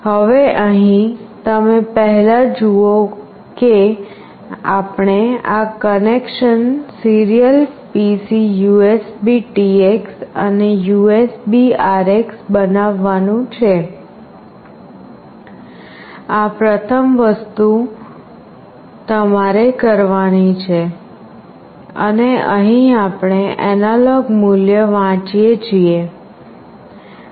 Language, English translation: Gujarati, Now here, first you see we have to make this connection serial PC USBTX and USBRX this is the first thing, you have to do and here we are reading an analog value